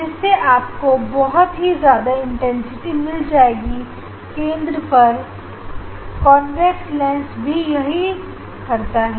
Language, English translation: Hindi, you will get huge intensity at the center you will get huge intensity at the center as convex lens does